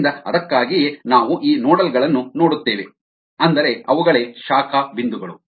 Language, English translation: Kannada, so that is why we look at these nodes, the branch points